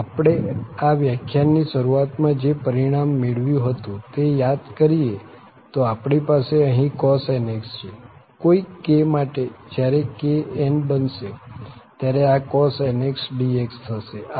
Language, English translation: Gujarati, And, if we recall the result which we got in the very beginning of this lecture, I summarized that we have here cos nx and for some k here, when k will be n, so this will be also the cos nx dx